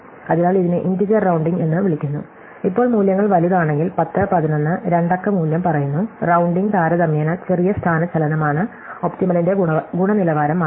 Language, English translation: Malayalam, So, this is called integer rounding, now if the values are big now they’re like 10, 11 the two digit value say, then rounding is relatively small displacement and the quality of the optimum will not change must based on it is